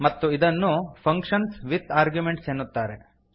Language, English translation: Kannada, And this is called as functions with arguments